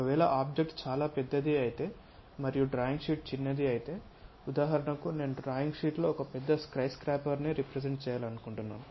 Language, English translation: Telugu, If the object is very large and the drawing sheet is small for example, like I would like to represent a big skyscraper on a drawing sheet it is not possible to construct such kind of big drawing sheets